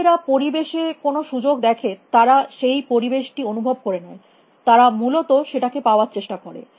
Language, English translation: Bengali, If the see an opportunity in the environment, they sense an environment; they will go after it essentially